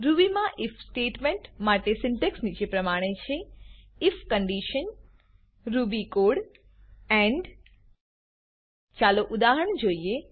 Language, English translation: Gujarati, The syntax of the if statement in Ruby is as follows: if condition ruby code end Let us look at an example